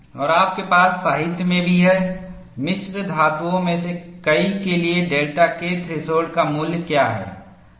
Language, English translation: Hindi, And you also have in the literature, what is the value of delta K threshold for many of the alloys